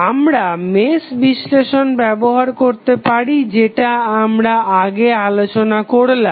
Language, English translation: Bengali, You can use Mesh Analysis which we discussed earlier